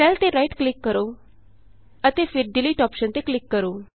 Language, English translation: Punjabi, Right click on the cell and then click on the Delete option